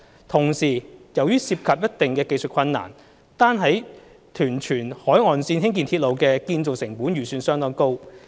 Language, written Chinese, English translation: Cantonese, 同時，由於涉及一定的技術困難，單在屯荃海岸線興建鐵路的建造成本預算相當高。, Meanwhile due to the technical difficulties involved solely the construction cost of a railway along the coastline between Tuen Mun and Tsuen Wan is expected to be very high